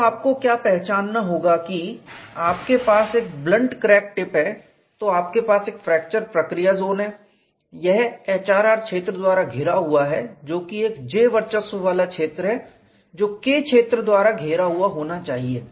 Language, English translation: Hindi, So, what you will have to recognize is you have a blunted crack tip, then you have a fracture process zone this is engulfed by HRR field, which is J dominated zone which would be surrounded by K field and then you have a general stress field